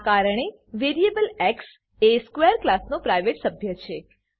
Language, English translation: Gujarati, Hence variable x is a private member of class square